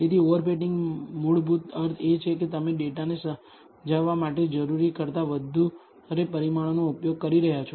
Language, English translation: Gujarati, So, over fitting, basically means you are using unnecessarily more parameters than necessary to explain the data